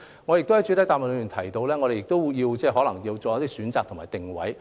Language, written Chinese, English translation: Cantonese, 我在主體答覆亦提到，當局可能要作出一些選擇及定位。, I have also mentioned in my main reply that the authorities may need to make some choices and determine the positioning